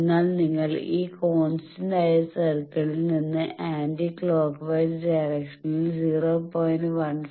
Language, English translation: Malayalam, So, you move from this point on this constant VSWR circle anti clockwise if distance 0